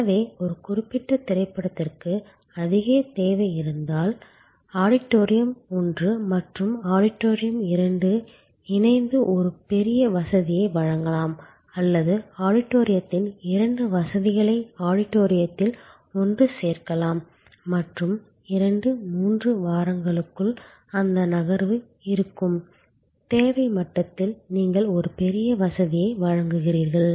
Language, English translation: Tamil, So, if there is a particular movie in very high demand then auditorium one and auditorium two maybe combined offering a bigger facility or maybe part of the auditorium two facility can be added to the auditorium one and for 2, 3 weeks when that move will be at speak demand level, you are offering a bigger facility